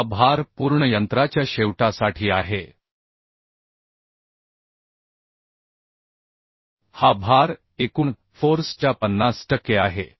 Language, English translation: Marathi, This load is for complete machine end this load is 50 per cent of the total force